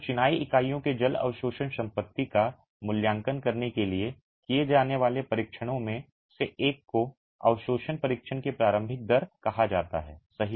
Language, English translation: Hindi, So, one of the tests that are carried out to evaluate the water absorption property of a masonry unit is called the initial rate of absorption test, right